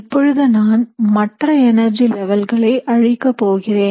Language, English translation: Tamil, So essentially I am going to erase now all the other energy levels here